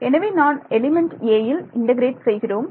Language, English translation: Tamil, So, when I am integrating over element a